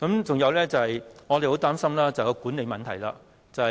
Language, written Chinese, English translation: Cantonese, 再者，我們十分擔心高鐵的管理問題。, In addition we are very worried about the management of XRL